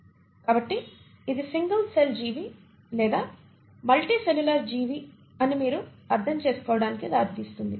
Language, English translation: Telugu, So this is what leads to what you understand as unicellular organism or a multicellular organism